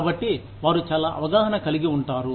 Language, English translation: Telugu, So, they become very aware